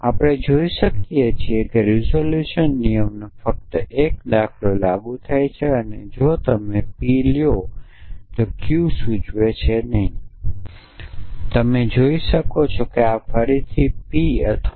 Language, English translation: Gujarati, So, we can see that is just 1 example of the resolution rule been applied or if you look at says P implies Q and not Q implies not P